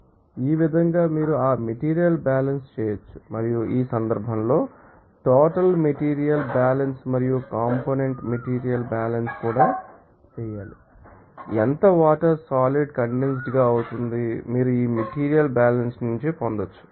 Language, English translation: Telugu, So, in this way you can you know, do that material balance and in this case total material balance and also component material balance to be done and how much water will be condensed, you can get it from this material balance